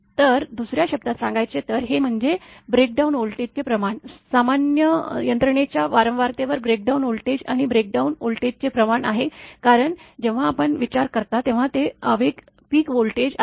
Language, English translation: Marathi, So, in other words it is the ratio of breakdown voltage at surge frequency to breakdown voltage at normal system frequency, because when you are considering that is the ratio of impulse peak voltage right